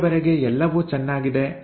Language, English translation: Kannada, Everything is fine so far so good